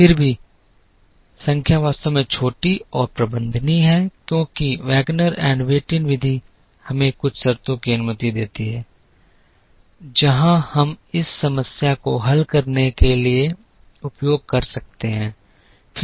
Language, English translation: Hindi, Still the number is actually small and manageable because the Wagner and Whitin method allows us certain conditions, where we can use to solve this problem optimally